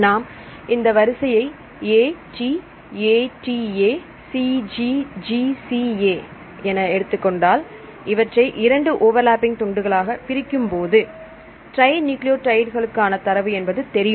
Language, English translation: Tamil, So, if you take this sequence AT ATA C G G C A right here we need to divide this into overlapping segments here; data are known for the trinucleotides right